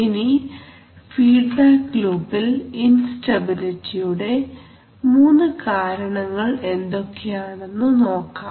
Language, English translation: Malayalam, So now let us look at three major causes of instability in feedback loops, how does it occur in a feedback loop